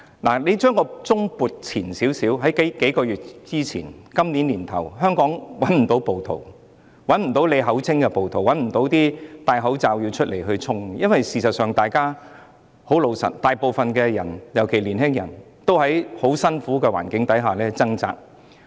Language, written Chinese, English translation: Cantonese, 大家回想在數月前，今年年初的香港不會找到暴徒，找不到他們口中的暴徒，也找不到戴着口罩出來衝擊的人，因為大部分人，尤其是年輕人，都在很辛苦的環境下掙扎。, A few months ago ie . before June this year there were no rioters in Hong Kong the so - called rioters were non - existent and there were no masked people storming everywhere . This is because the majority of the people especially young people have been struggling in a very difficult environment